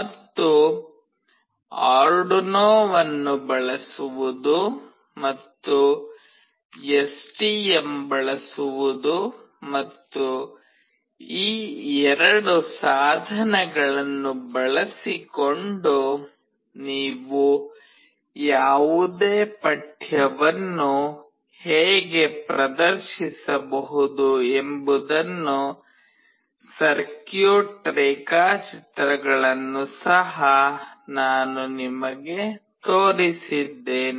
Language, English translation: Kannada, And, I have also shown you the circuit diagrams both using Arduino and using STM, and how you can display any text using these 2 devices